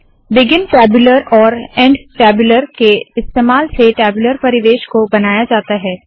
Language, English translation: Hindi, The tabular environment is created using begin tabular and end tabular commands